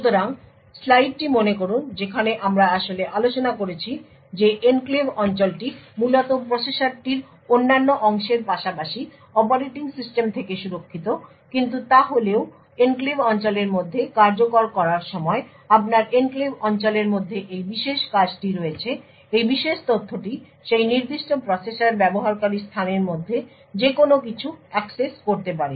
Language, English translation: Bengali, So recollect the slide where we actually discussed that the enclave region is essentially protected from the various other parts of the process as well as the operating system but however when executing within the enclave region that is you have a function within the enclave region this particular data could access anything in the user space of that particular process